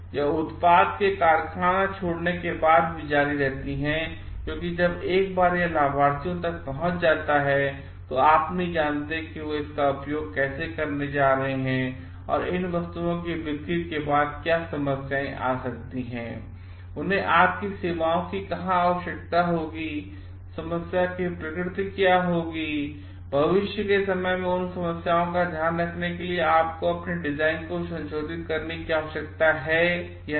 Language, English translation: Hindi, It continues even after the product leaves the factory because once it reaches the beneficiaries, you do not know like how they are going to use it and what could be the after shelfs like problems coming up where they will need services from you, what will be the nature of problem and where there you need to modify your design or not to take care of those problems in future time